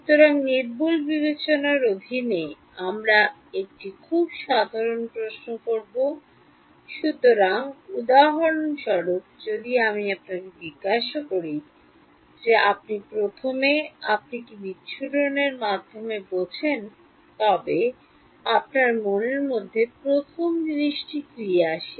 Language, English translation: Bengali, So, under Accuracy Considerations we will pose a very general question; so for example, if I ask you this what is first you what do you understand by dispersion, what is the first thing that comes your mind